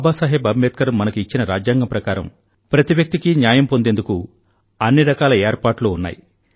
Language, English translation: Telugu, Baba Saheb Ambedkar there is every provision for ensuring justice for each and every person